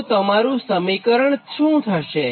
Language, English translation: Gujarati, so what will be your equation